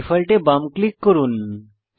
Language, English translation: Bengali, Left click Default